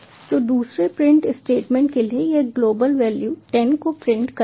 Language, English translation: Hindi, so for the second print statement it will print the global variable ten